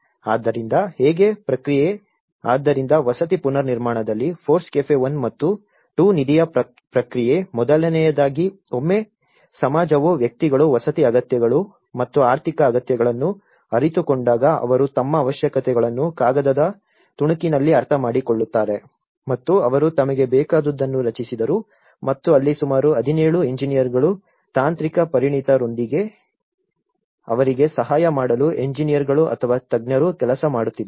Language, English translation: Kannada, So how the process, so the process of FORECAFE 1 and 2 fund in the housing reconstruction, first, once the society the individuals when they realize the housing needs and economic needs so they actually made their understanding of their requirements in a piece of paper and they drafted that in what they want and that is where the engineers or specialists about 17 engineers were working in order to assist them with the technical expertise